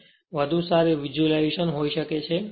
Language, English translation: Gujarati, There thus that you can have a better visualisation